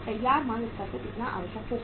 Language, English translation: Hindi, How much will be required at the finished goods level